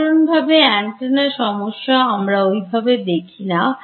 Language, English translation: Bengali, In usual antenna problems all we never run into that issue